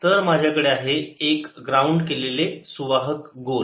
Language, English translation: Marathi, so i have a grounded conducting sphere